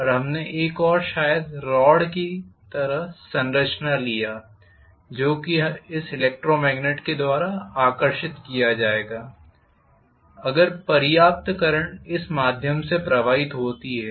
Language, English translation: Hindi, And we also took one more maybe rod kind of structure which will be attracted by this electromagnet, if sufficient current flows through this